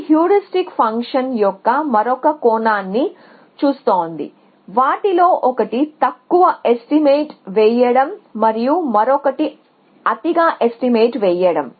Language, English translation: Telugu, This is looking at another aspect of heuristic functions which is one of them is underestimating and the other one is overestimating